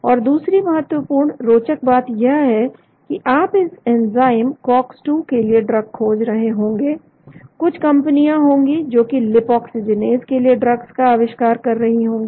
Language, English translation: Hindi, And another important interesting thing is you maybe discovering drugs for this enzyme, cox 2, there may be some companies which may be discovering drugs for lipoxygenase